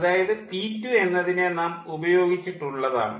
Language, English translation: Malayalam, so p two we have used, and then ah